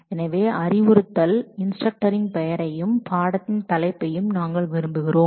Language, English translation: Tamil, So, we want the name of the instruction instructor and the title of the course that the person is teaching